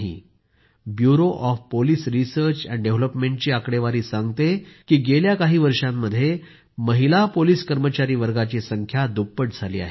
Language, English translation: Marathi, The statistics from the Bureau of Police Research and Development show that in the last few years, the number of women police personnel has doubled